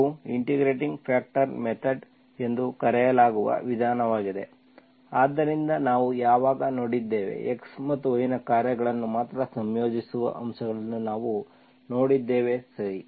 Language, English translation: Kannada, This is a method called integrating factor method, so when, so we have seen, we have seen integrating factors that are only functions of x or y, okay